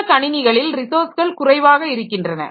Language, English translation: Tamil, These systems are resource poor